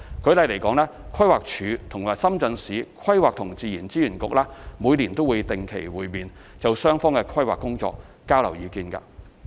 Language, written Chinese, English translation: Cantonese, 舉例來說，規劃署和深圳市規劃和自然資源局每年會定期會面，就雙方的規劃工作交換意見。, For example the Planning Department of Hong Kong and the Planning and Natural Resources Bureau of Shenzhen Municipality will meet regularly on a yearly basis to exchange views on each others planning work